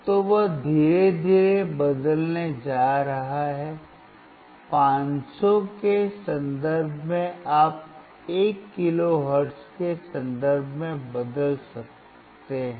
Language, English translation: Hindi, So, he is going to change slowly in terms of 500 can you change in terms of 1 kilohertz